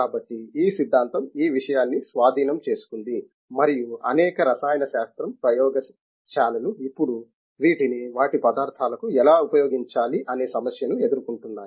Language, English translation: Telugu, So, this theory has taken over the thing and many chemistry laboratories are now facing the problem of how to apply these to their materials